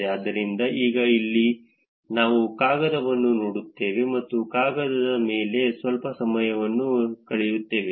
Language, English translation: Kannada, So, now, here is a paper that we will look at and spend some time on the paper